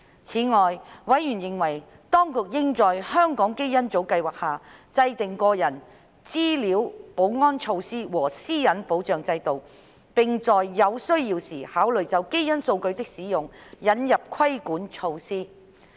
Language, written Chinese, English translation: Cantonese, 此外，委員認為，當局應就香港基因組計劃制訂個人資料保安措施和私隱保障制度，並在有需要時考慮就基因數據的使用引入規管措施。, In addition members called on the Administration to put in place data security and privacy protection mechanisms in respect of the Hong Kong Genome Project and consider introducing regulatory measures on the use of genetic data when necessary